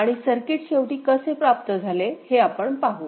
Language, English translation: Marathi, And we would like to see how the circuit is finally realized